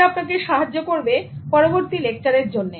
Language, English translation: Bengali, And that will prepare you for the next lesson also